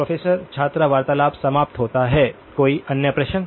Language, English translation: Hindi, “Professor – student conversation ends” Any other question